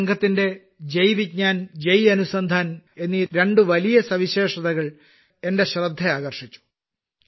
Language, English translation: Malayalam, The two great features of this team, which attracted my attention, are these Jai Vigyan and Jai Anusandhan